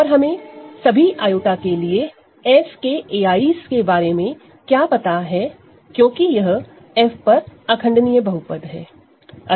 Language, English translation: Hindi, And what do we know about a i's there in F for all i right, because it is the irreducible polynomial over capital F